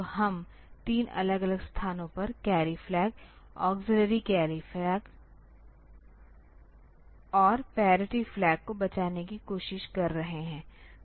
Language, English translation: Hindi, So, we are trying to save the carry flag, auxiliary carry flag and parity flag at 3 different locations